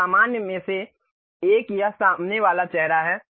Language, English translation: Hindi, So, one of the normal is this front face